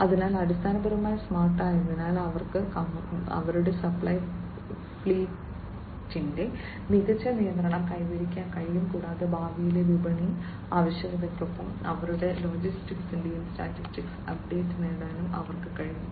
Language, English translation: Malayalam, So, basically smart so they are able to achieve smart control of their supply fleet, and also they are able to get the status update of their logistics with future market demand